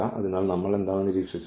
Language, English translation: Malayalam, So, what we have observed